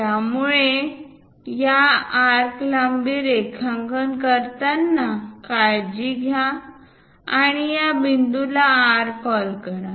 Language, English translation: Marathi, So, one has to be careful while drawing these arcs length and let us call this point R